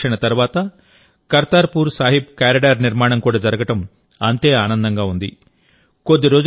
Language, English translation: Telugu, It is equally pleasant to see the development of the Kartarpur Sahib Corridor after decades of waiting